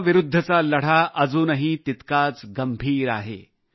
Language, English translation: Marathi, The fight against Corona is still equally serious